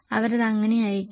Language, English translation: Malayalam, How do they send it